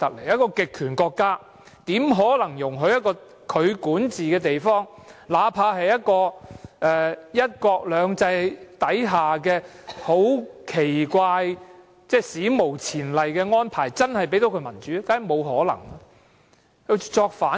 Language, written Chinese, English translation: Cantonese, 一個極權國家怎可能容許其管治的地方，哪怕這地方有"一國兩制"這個史無前例的安排，又怎可能真正給它民主呢？, Clashes are inevitable . Although this place is blessed with an unprecedented arrangement of one country two systems how could a totalitarian country possibly allow this place under its rule to have democracy?